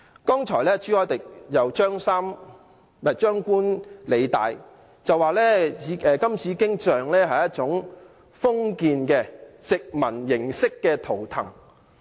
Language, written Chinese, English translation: Cantonese, 剛才朱凱廸議員張冠李戴，說金紫荊雕塑是一種封建、殖民式圖騰。, Mr CHU Hoi - dick has earlier barked up the wrong tree saying that the Golden Bauhinia statue was a totem of conservatism and colonialism